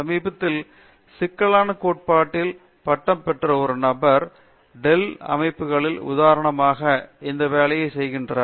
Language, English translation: Tamil, Recently one person who graduated in a complexity theory went for this job, for example, in Dell systems